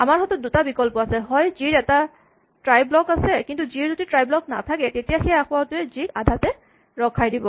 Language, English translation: Assamese, Now, we have two options either g has a try block, but if g does not have a try block then this error will cause g to abort